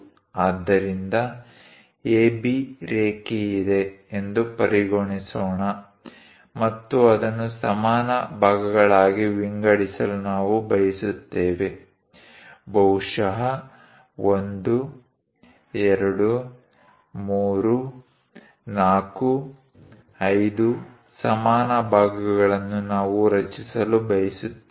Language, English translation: Kannada, So, let us consider there is a line AB, and we would like to divide that into equal segments; perhaps 1, 2, 3, 4, 5 equal segments we would like to construct